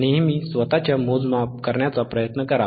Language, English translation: Marathi, Always try to do yourthe measurements by yourself